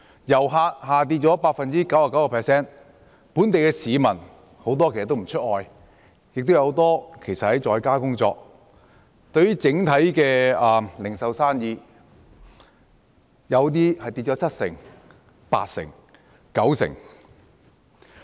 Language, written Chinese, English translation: Cantonese, 遊客人數下跌 99%， 本地市民很多也不出外，亦有很多人在家工作，零售業的生意有些下跌七成、八成甚至九成。, The number of tourists has dropped by 99 % a majority of local citizens stay home and many people work from home . The sales of the retail industry have plunged by 70 % to 80 % and even 90 %